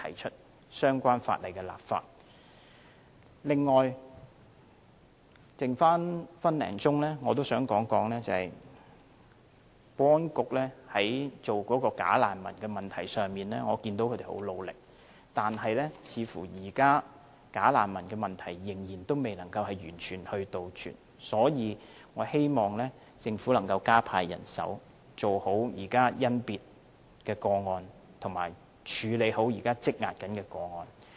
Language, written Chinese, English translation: Cantonese, 此外，在餘下的一分多鐘，我想說我看到保安局就假難民的問題上很努力，但似乎現時問題仍未能完全杜絕，所以我希望政府能夠加派人手，做好甄別工作及處理好現時積壓的個案。, In addition in the remaining a tad more than a minute of my speaking time I would like to add that I have seen the efforts made by the Security Bureau in handling bogus refugees . Yet it seems the problem is yet to be fully eradicated . For this reason I hope the Government can deploy more manpower to tackle the screening work and complete the handling of pending cases on hand